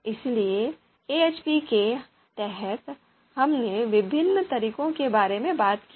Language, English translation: Hindi, So under AHP, we have talked about different methods